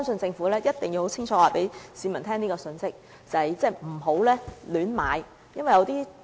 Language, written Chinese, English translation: Cantonese, 政府一定要清楚告知市民，不要胡亂購買龕位。, The Government must clearly tell the public not to buy niches hastily